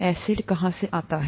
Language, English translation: Hindi, Where does the acid come from